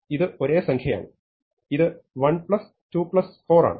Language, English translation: Malayalam, So, I will make this 1, then I make this 4